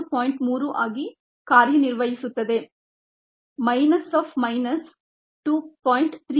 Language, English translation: Kannada, point three minus of minus two